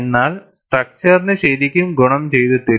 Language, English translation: Malayalam, But it does not really benefited the structure